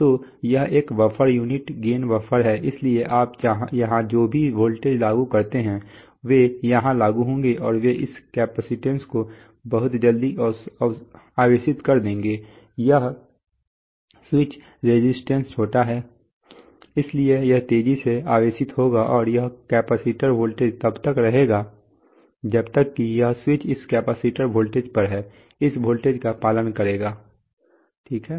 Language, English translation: Hindi, So this is a buffer unity gain buffer so whatever voltage you apply here, they will apply here and they will charge it up this capacitance very quickly, this switch resistance is small, so it will fast charge up and this capacitor voltage will as long as this switch is on this capacitor voltage will follow this voltage, right